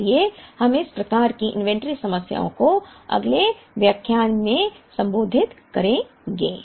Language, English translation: Hindi, So, we will address such types of inventory problems in the next lecture